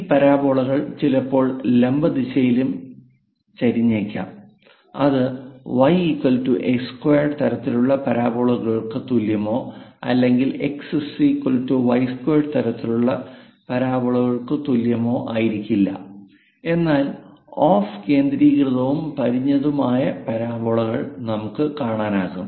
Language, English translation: Malayalam, These parabolas sometimes might be inclined on the vertical direction also; it may not be the y is equal to x square kind of parabolas or x is equal to y square kind of parabolas, but with off centred and tilted kind of parabolas also we will come across